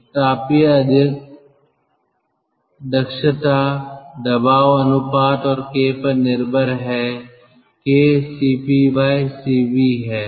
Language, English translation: Hindi, so thermal efficiency is dependent on the pressure ratio, and k, k is cp by cv